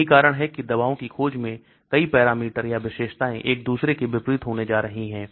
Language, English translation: Hindi, That is why in drug discovery many parameters or features are going to be contradicting each other